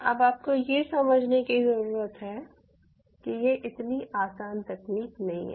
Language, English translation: Hindi, now, having said this, this is not a such an easy technology